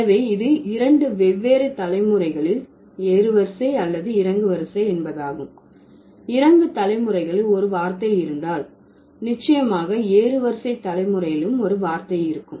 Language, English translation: Tamil, So, two different generations, whether it is the ascending or descending, if it is there, if there is a word for the descending generation, it will definitely have a word for the ascending generation